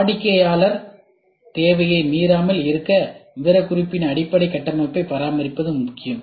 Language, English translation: Tamil, It is important to maintain the basic structure of the specification in order not to violate the customer need